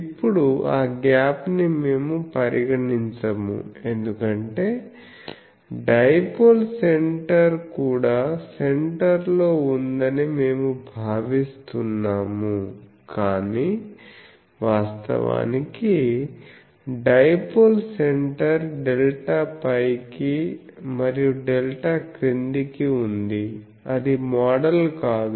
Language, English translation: Telugu, Another is we are a having a finite gap at the feed point, now that gap we do not consider, because we consider that the dipoles centre is also at the center, but actually dipole center is a delta up, and the delta down so that is not model